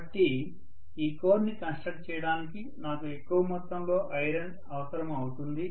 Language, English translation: Telugu, So I will be needing more amount of iron to construct this core